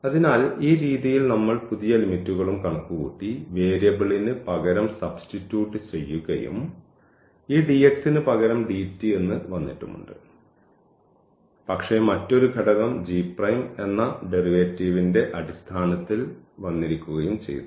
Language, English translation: Malayalam, So, in that way we have also computed these new limits and we have substituted the variable and instead of this dx dt has come, but within another factor which was in terms of the derivatives of this g